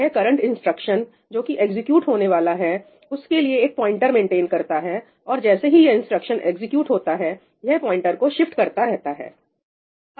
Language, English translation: Hindi, it maintains a pointer to the current instruction that is being executed, and as it executes the instructions it keeps on shifting this pointer